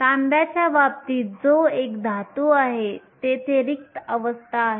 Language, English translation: Marathi, In the case of copper, which is a metal you have empty states that are there